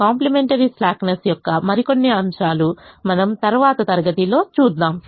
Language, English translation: Telugu, some more aspects of complementary slackness we will see in the next class